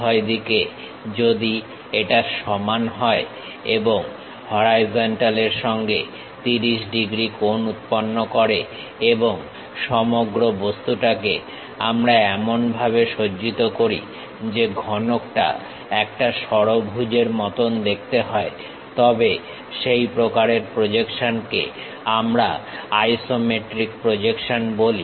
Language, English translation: Bengali, On both sides if it is equal and making 30 degrees with the horizontal and the entire object we orient in such a way that a cuboid looks like a hexagon such kind of projection what we call isometric projection